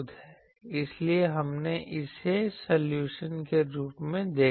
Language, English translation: Hindi, So, this we saw as the solution